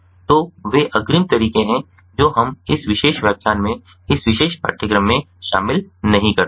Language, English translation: Hindi, so those are advance methods which we do not cover in this particular lecture, in this particular course